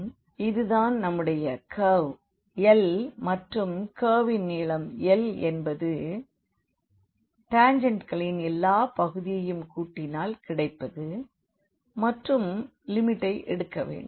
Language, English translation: Tamil, So, length of this curve l which is so, this is our curve l here and the length of this curve l will be given as when we sum all these parts of the tangents and then take the limit